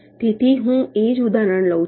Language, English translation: Gujarati, so the same example i take